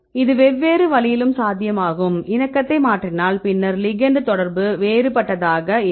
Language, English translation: Tamil, It is also possible in other way around right we change the conformation then the ligand also the interaction will be different right